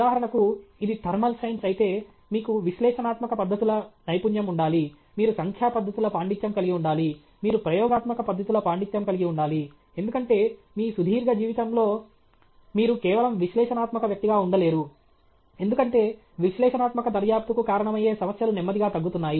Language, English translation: Telugu, For example, if it is thermal sciences, you should have a mastery of analytical techniques; you should have a mastery of numerical techniques; you should have a mastery of experimental techniques, because in your long life, you cannot stay as just an analytical person, because the problems which are available, which lend themselves to analytical investigation are slowly going down